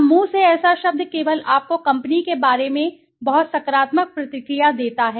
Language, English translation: Hindi, Now such a word of mouth only gives you a very positive feedback about the company